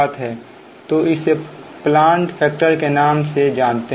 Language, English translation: Hindi, and next one is plant factor